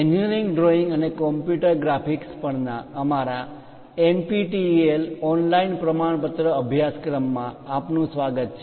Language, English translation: Gujarati, Welcome to our NPTEL online certification courses, on Engineering Drawing and Computer Graphics